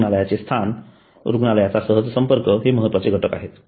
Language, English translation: Marathi, The location of the hospital and connectivity of the hospital are important elements